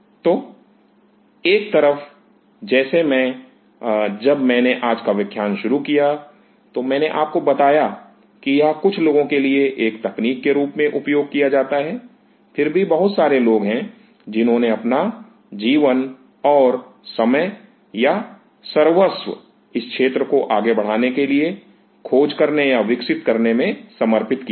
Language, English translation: Hindi, So, on one hand as I; when I started the lecture today, I told you that this is used as a technique for certain people, yet there are a lot many people who have spend their life time in or devoted their life time in discovering or making this field to march ahead